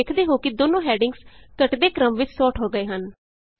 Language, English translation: Punjabi, You see that both the headings get sorted in the descending order